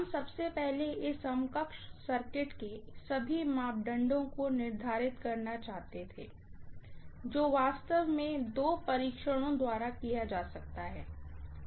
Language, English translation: Hindi, We wanted to first of all determine all the parameters of this equivalent circuit which actually can be done by two tests